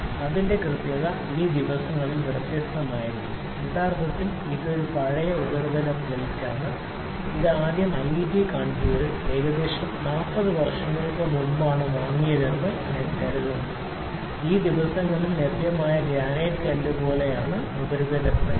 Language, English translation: Malayalam, So, it its accuracies can be different these days actually this is an old surface plane, if it is first kept in a IIT Kanpur, I think this was purchased about 40 years back to these days which place which are available are of this stone like granite surface plate